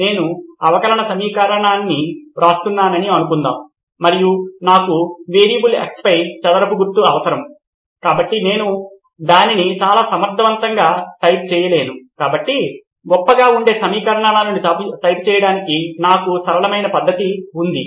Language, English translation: Telugu, Suppose I am writing a differential equation and I need a square sign over the variable x, so I cannot type it very efficiently, so if I had a simpler method to type equations that would be great